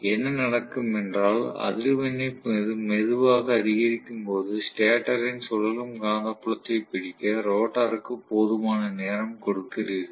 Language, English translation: Tamil, So, what will happen is at every incremental frequency, you give sufficient time for the rotor to catch up with the stator revolving magnetic field